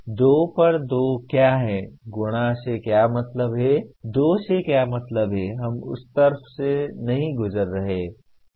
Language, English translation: Hindi, What is 2 on 2, what is meant by multiplication, what is meant by 2, we are not going through that logic